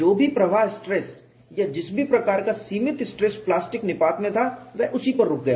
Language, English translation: Hindi, Whatever is the flow stress or the kind of limiting stress in plastic collapse, it is stopped at that